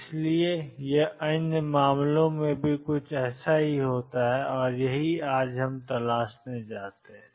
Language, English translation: Hindi, So, it does something similar happen in other cases and that is what we want to explore in